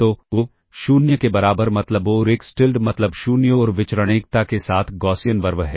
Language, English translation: Hindi, So, mean equal to 0 and Xtilda is Gaussian RV with mean 0 and variance unity ok